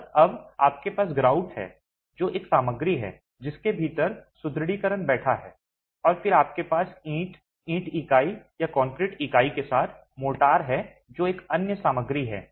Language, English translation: Hindi, And now you have the grout which is one material within which the reinforcement is sitting and then you have the brick along with the brick unit or the concrete unit along with the motor which is another material